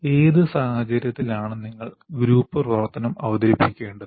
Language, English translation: Malayalam, Under what condition should you introduce group activity